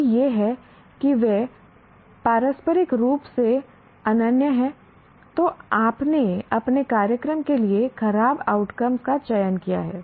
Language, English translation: Hindi, If it is a mutually exclusive, you have selected bad outcomes for your program